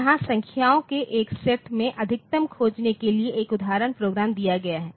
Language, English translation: Hindi, Next we look into one program this is an example program for finding the maximum of a set of numbers